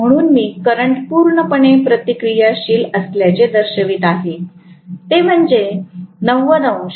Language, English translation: Marathi, So I am showing the current to be completely reactive, it is that 90 degrees